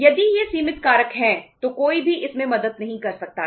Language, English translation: Hindi, If these are the limiting factors then nobody can help it out